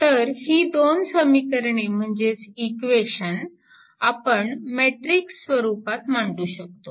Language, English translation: Marathi, So, that is why this your this 2 equations, you can write in the matrix form, right